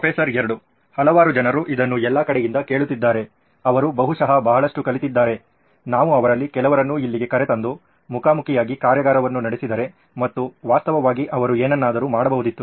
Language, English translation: Kannada, A number of people have been listening to this from all over, right they have probably learnt a lot, would not it be nice if we actually brought some of them here, did a workshop face to face and actually had them do something